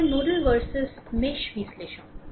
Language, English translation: Bengali, Next is that your nodal verses mesh analysis